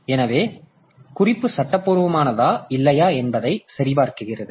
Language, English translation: Tamil, So, that is done and it checks whether the reference was legal or not